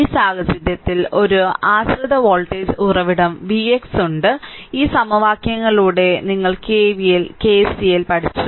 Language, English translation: Malayalam, So, in this case you have one dependent voltage source v x look, though out this all this equations KVL, KCL all we have studied now right